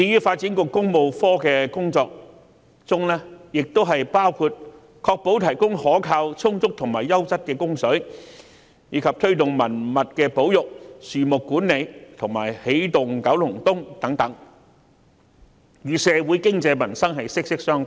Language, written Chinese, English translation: Cantonese, 發展局的工作亦包括確保提供可靠、充足及優質的食水，以及推動文物保育、樹木管理和"起動九龍東"計劃等，與社會的經濟民生息息相關。, The work undertaken by the Development Bureau Works Branch also includes ensuring the provision of a reliable adequate and quality supply of water promoting heritage conservation and tree management as well as the Energizing Kowloon East initiative etc . which are closely related to the economy and peoples livelihood of our society